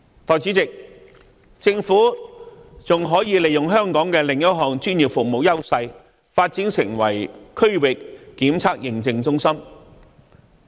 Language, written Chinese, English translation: Cantonese, 代理主席，政府還可以利用香港的另一項專業服務優勢，發展成為區域檢測認證中心。, Deputy President the Government can also leverage Hong Kongs advantage in another professional service for development into a regional testing and certification centre